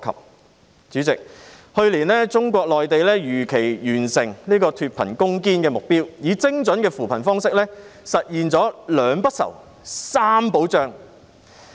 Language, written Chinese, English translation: Cantonese, 代理主席，去年中國內地如期完成脫貧攻堅的目標，以精準的扶貧方式，實現了"兩不愁、三保障"。, Deputy President last year the Mainland of China was able to attain the target of fighting against poverty as scheduled . With a precise way of poverty alleviation it has realized the goals of two assurances and three guarantees